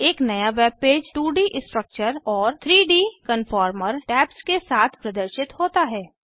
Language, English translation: Hindi, A new web page with 2D Structure and 3D Conformer tabs, is seen